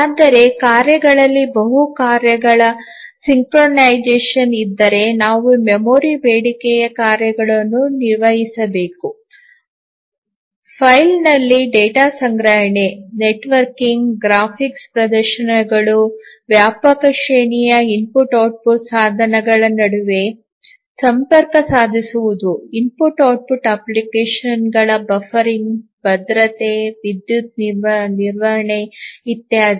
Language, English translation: Kannada, But then if there are multiple tasks synchronization among the tasks you need to manage the memory, like memory demanding tasks, we need to store data in file, we need to network to other devices, we need graphics displays, we need to interface with a wide range of IO devices, we need to have buffering of the IO applications, security, power management, etcetera